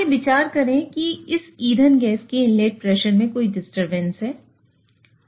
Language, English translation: Hindi, Let us consider there is a disturbance in the inlet pressure of this fuel gas